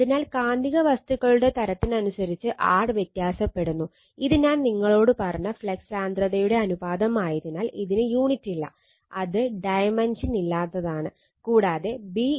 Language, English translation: Malayalam, So, mu r varies with the type of magnetic material, and since it is a ratio of flux densities I told you, it has no unit, it is a dimensionless